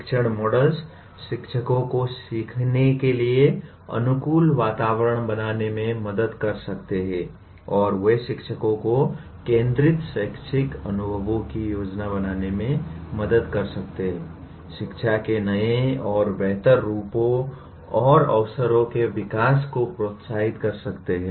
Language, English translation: Hindi, Teaching models may help teachers to create conducive environment for learning and they may help teachers to plan learning centered educational experiences, may stimulate development of new and better forms and opportunities for education